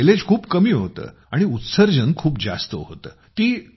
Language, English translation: Marathi, Its mileage was extremely low and emissions were very high